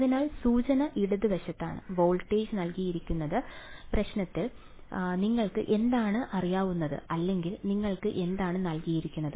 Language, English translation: Malayalam, So, the hint is the left hand side, what is known or rather what is given to you in the problem where is the voltage given